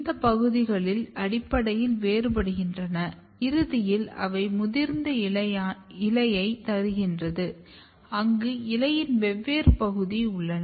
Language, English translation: Tamil, These regions are basically differentiating and eventually they are giving mature leaf where you have this different part of the leaf